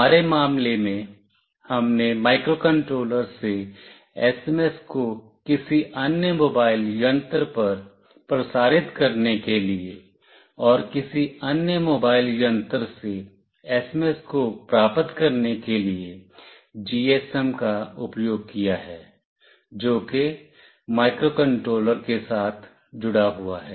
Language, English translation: Hindi, In our case, we have used GSM for transmitting SMS from the microcontroller to any other mobile device, and to receive the SMS from any other mobile device to the GSM that is connected with the microcontroller